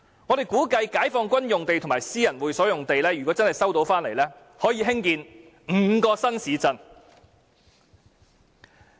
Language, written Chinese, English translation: Cantonese, 我們估計解放軍用地及私人會所用地若收回，可以興建5個新市鎮。, We estimate that if the sites occupied by the Peoples Liberation Army and private clubs are resumed five new towns can be developed